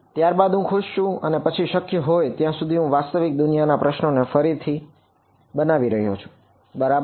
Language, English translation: Gujarati, Then I am happy then I am recreating the real world problem as far as possible right